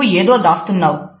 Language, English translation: Telugu, You are hiding something